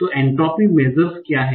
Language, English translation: Hindi, So what is entropy